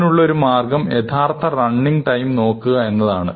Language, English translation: Malayalam, So, one way to look at this is to actually look at concrete running times